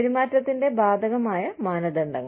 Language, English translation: Malayalam, Applicable standards of behavior